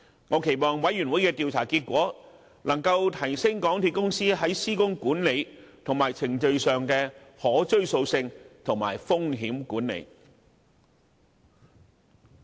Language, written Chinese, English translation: Cantonese, 我期望調查委員會的調查結果，能夠提升港鐵公司在施工管理和程序上的可追溯性及風險管理。, I hope that the findings of the Commission of Inquiry can enhance the traceability and risk management of MTRCLs control system and processes